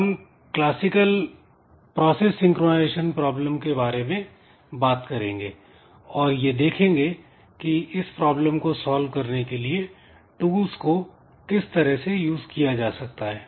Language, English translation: Hindi, So, we'll examine classical process synchronization problems and we will see how the tools can be used to solve this synchronization problems